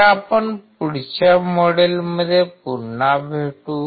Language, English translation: Marathi, So, I will catch you in the next module